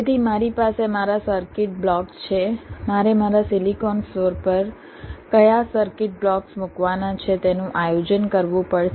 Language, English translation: Gujarati, i have to make a planning where to put which circuit blocks on my silicon flow floor